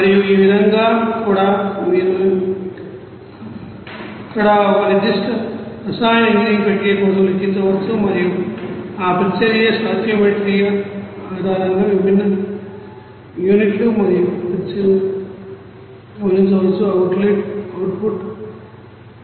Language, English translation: Telugu, And in this way also you can calculate for a specific chemical engineering process there and identifying that different units and reactions based on that reaction stoichiometry, what will be the input what will be the output